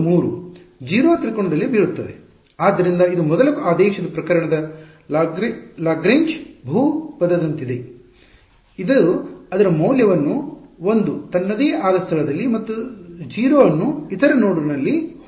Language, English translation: Kannada, At node 2 and 3 0 at the triangle fall flat; so, this is like that Lagrange polynomial of the first order case, it has its value 1 at its own location and 0 at the other node